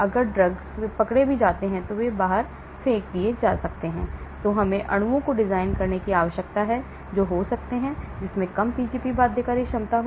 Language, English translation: Hindi, so drugs may if they are get caught and they may get thrown out, so we need to design molecules which may have; which has low Pgp binding ability